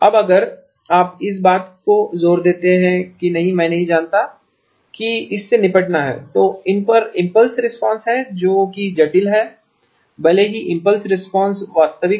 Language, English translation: Hindi, Now if you insist that no I do not want to have to deal with by the way these have impulse responses that are complex even if the original impulse response was real